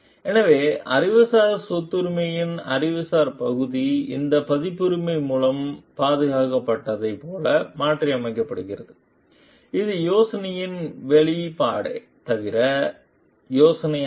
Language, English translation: Tamil, So, the intellectual part of the intellectual property, which is transformed like which is protected by the copyright over here is the expression of the idea not the idea itself